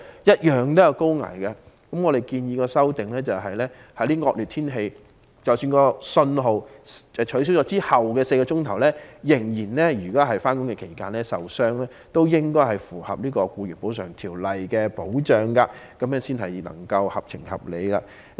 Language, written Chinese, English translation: Cantonese, 因此，我們建議作出修訂，在惡劣天氣下，如果是在信號解除後的4小時內上、下班途中受傷，也應該納入《僱員補償條例》的保障範圍，這樣才合情合理。, Hence we have proposed an amendment to the Employees Compensation Ordinance to extend the coverage to any injuries sustained by employees commuting to and from work within four hours under inclement weather conditions after the signals have been cancelled . The amendment seeks to make the law justifiable and reasonable